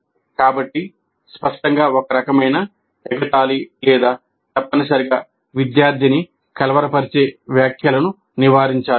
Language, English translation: Telugu, So obviously a kind of ridiculing or the kind of comments which essentially disturb the student should be avoided